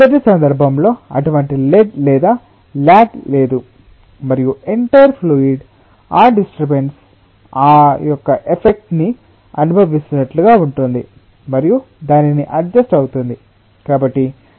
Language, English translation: Telugu, the first case: there is no such lead or lag and it is like the entire fluid is feeling the effect of the disturbance and getting adjusted to that